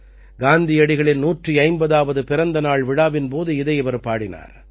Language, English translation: Tamil, He had sung it during the 150th birth anniversary celebrations of Gandhiji